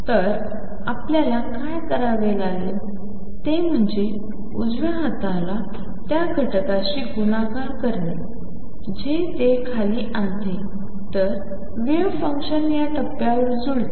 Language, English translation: Marathi, So, what we need to do is multiply the right hand side to the factor that brings it down makes the wave function match at this point